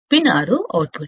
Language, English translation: Telugu, Pin 6 is the output